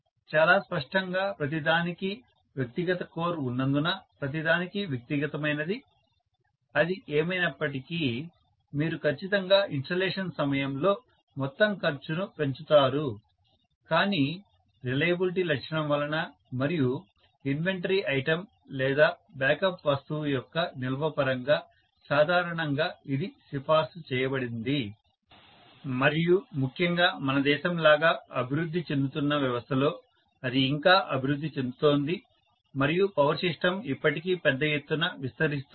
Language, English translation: Telugu, Very clearly because everything has individual core, everything has individual, whatever so, you are going definitely increase the overall cost during the installation but looking at the reliability feature and also looking at the storage of inventory item or backup item this generally is recommended and especially in a system where it is developing like our nation where it is developing still and power system still expanding in a big way